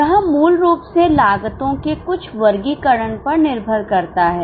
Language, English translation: Hindi, It fundamentally depends on certain classification of costs